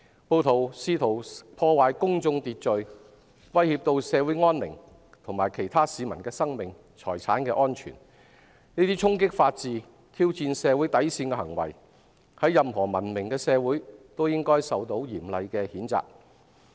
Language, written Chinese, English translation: Cantonese, 暴徒試圖破壞公眾秩序、威脅社會安寧，以及危害其他市民的生命和財產安全，這些衝擊法治，挑戰社會底線的行為，在任何文明社會都應受到嚴厲譴責。, The rioters try to undermine public order threaten social tranquility and endanger the lives and properties of other citizens . These acts that go against the rule of law and challenge the bottom line of society would be severely condemned in any civilized society